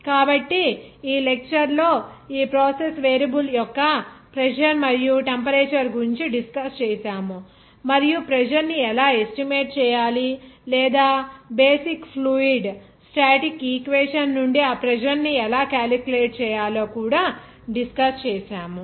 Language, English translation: Telugu, So, we have discussed this process variable of pressure and temperature in this lecture and how to estimate the pressure or calculate that pressure from the basic fluid static equation and how to derive it we have discussed